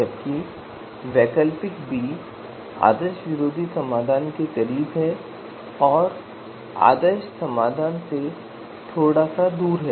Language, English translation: Hindi, While alternative B it is you know closer to anti ideal solution and a little farther from ideal solution